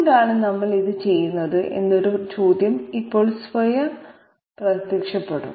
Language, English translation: Malayalam, Now one question automatically appears that why are we doing this